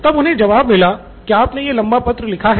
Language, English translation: Hindi, And they say well you wrote this long letter